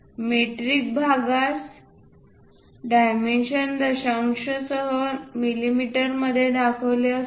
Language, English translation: Marathi, Metric parts are dimensioned in mm with decimals